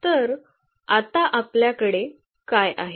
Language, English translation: Marathi, So, what we have now